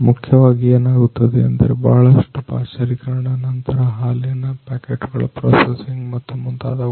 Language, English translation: Kannada, So, basically what happens is lot of pasteurisation then processing of the milk packets and so, on packeting of the milk and so, on that is what happens